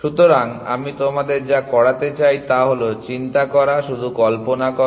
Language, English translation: Bengali, So, what I want you to do is, to think just imagine that